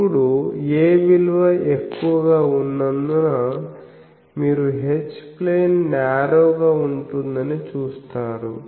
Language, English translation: Telugu, Now, since a is larger that is why you see H plane is narrower